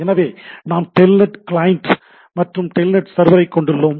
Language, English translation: Tamil, So, we have Telnet client and Telnet server